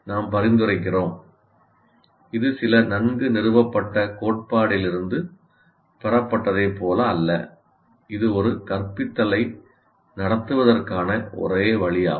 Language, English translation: Tamil, So we are prescribing, it is not as if it is derived from some what you call well established theory and this is the only way to conduct an instruction